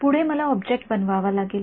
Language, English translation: Marathi, Next I have to make the object